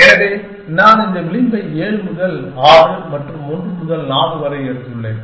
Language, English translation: Tamil, So, I have taken up this edge 7 to 6 and 1 to 4